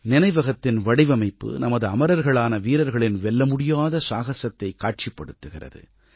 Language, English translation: Tamil, The Memorial's design symbolises the indomitable courage of our immortal soldiers